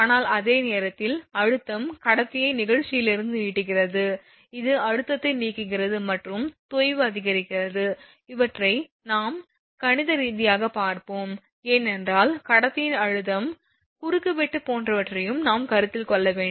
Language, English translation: Tamil, But at the same time tension elongates the conductor from elastic stretching which leads to relieve tension and sag increases these are the factors later we will see mathematically because we have to consider also we have to consider your what you call that conductor tension actual cross section everything we have to consider